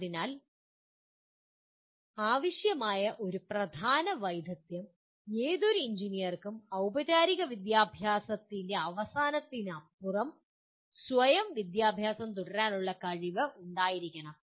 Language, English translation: Malayalam, So one of the key skills that is required is any engineer should be able to, should have the ability to continue one’s own self education beyond the end of formal schooling